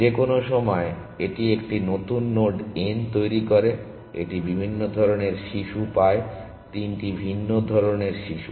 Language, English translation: Bengali, Any time it generates a new node n, it gets different kinds of children three different kinds of children